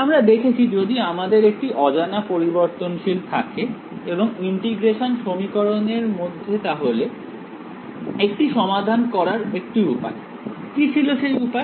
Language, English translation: Bengali, We have seen that if I have a unknown variable inside a integral equation we have seen one way of solving it and what was that one way